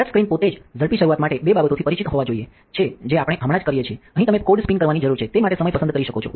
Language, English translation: Gujarati, The touchscreen itself, there is two things to be aware of quick start which we just used, here you can select the time that you need to spin code